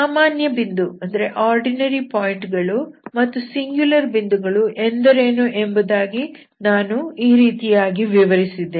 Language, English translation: Kannada, So this is what I explained what do you mean by ordinary, ordinary points or singular points